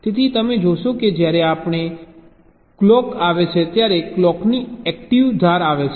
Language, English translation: Gujarati, so you see, whenever a clock comes, the active edge of the clock comes